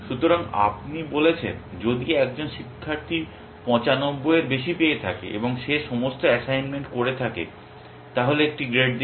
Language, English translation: Bengali, So, you have said if a student has got more than 95 and he has done all the assignments then give an a grade